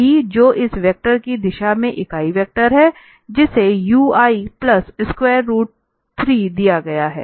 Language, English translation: Hindi, The b, which is the unit vector in the direction of this vector u given u i plus square root 3